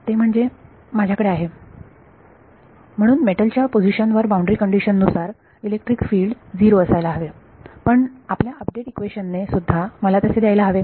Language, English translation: Marathi, That is I have, so at the position of the metal the electric field should be 0 as per the boundary conditions, but our update equation should also give me that